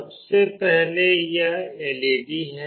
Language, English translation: Hindi, Firstly, this is the LED